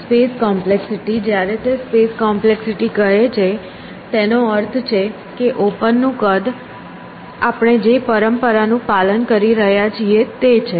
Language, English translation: Gujarati, Space complexity, when he says space complexity we mean the size of open that is the convention we have been following